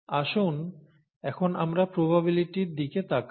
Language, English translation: Bengali, Now let us look at probabilities